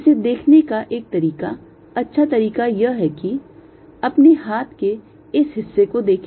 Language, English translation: Hindi, a one way of good way of visualizing it: look at this part of your hand